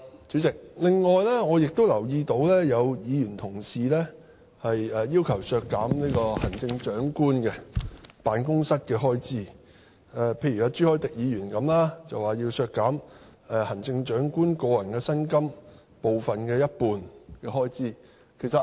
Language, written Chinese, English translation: Cantonese, 主席，我另外亦留意到，有議員要求削減行政長官辦公室的開支，例如朱凱廸議員要求削減行政長官的個人薪金的一半開支。, Chairman I am also aware that some Members have requested to reduce the expenditure on the Office of the Chief Executive . For example Mr CHU Hoi - dick has requested to cut the personal emolument for the Chief Executive by half